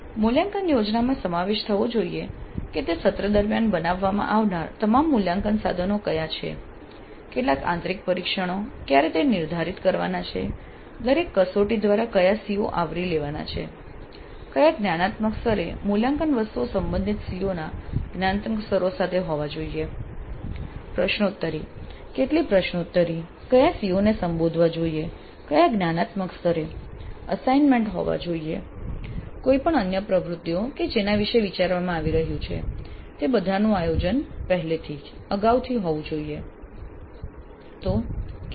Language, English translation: Gujarati, So the assessment plan must include which are all the assessment instruments that are to be created during that semester, how many internal tests when they have to be scheduled, which are the COs to be covered by each test at what level, at what cognitive level the assessment items must be there vis a vis the cognitive levels of the related COs